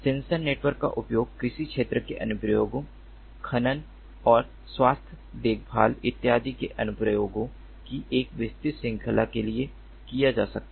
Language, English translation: Hindi, sensor networks can be used for a diverse range of applications: for agriculture, space applications, mining and health care, and so on and so forth